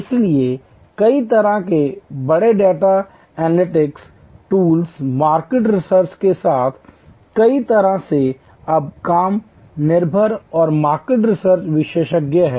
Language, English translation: Hindi, So, with various kinds of big data analytic tools market research in many ways now are less dependent and market research experts